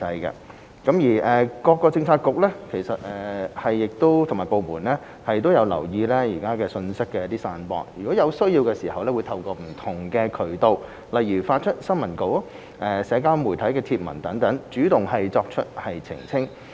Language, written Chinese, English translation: Cantonese, 一政府各政策局及部門均有留意信息的散播，而有需要時亦會透過不同渠道，例如發出新聞稿或社交媒體帖文等，主動作出澄清。, 1 All bureaux and departments have been monitoring information being circulated and will clarify proactively by various channels such as issuing press releases or social media posts etc . as necessary